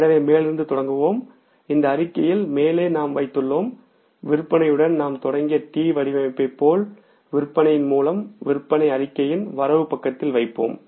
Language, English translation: Tamil, In the top in this statement we put the, as in case of the T format we have started with the sales, buy sales putting the sales on the credit side of the statement